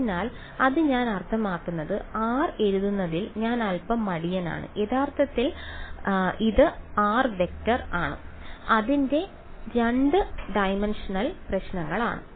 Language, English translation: Malayalam, So, this I mean I am being a little lazy in just writing r actually it is the vector r right its a 2 dimensional problems